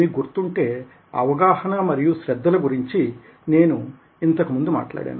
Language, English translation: Telugu, if you remember, earlier i talked about perception and attention